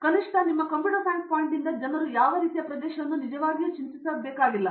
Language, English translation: Kannada, So at least from computer science point of you people need not really worry what area like it